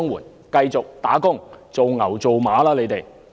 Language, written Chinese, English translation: Cantonese, 你們繼續工作，做牛做馬吧！, They should continue to work like dogs!